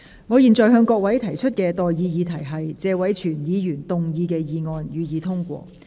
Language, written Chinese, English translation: Cantonese, 我現在向各位提出的待議議題是：謝偉銓議員動議的議案，予以通過。, I now propose the question to you and that is That the motion moved by Mr Tony TSE be passed